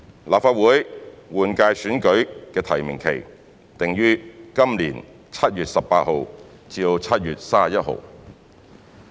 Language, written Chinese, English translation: Cantonese, 立法會換屆選舉的提名期訂於今年7月18日至7月31日。, The nomination period of the Legislative Council General Election is set from 18 July to 31 July this year